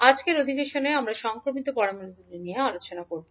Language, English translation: Bengali, So in today’s session we will discuss about transmission parameters